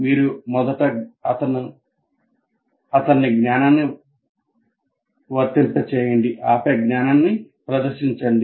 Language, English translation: Telugu, You first make him apply the knowledge and then present the knowledge